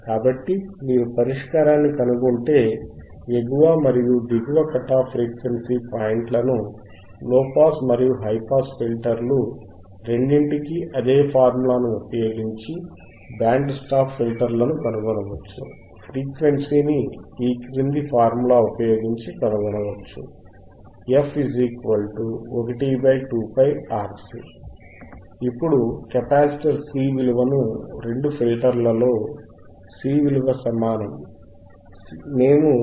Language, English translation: Telugu, So, if you find the solution, the upper and cut lower cut off frequency points for a band stop filter can be found using the same formula as that for both low pass and high pass filter,; thatwhich means, the frequency can be found using the formula f equals to 1 divided by 2 pi RC right